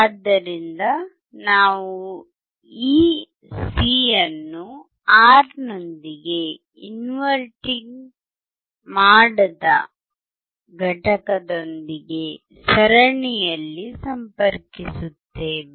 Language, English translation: Kannada, So, when we connect this C, the R in series with the non inverting unit again, because you see non inverting we are applying to non terminal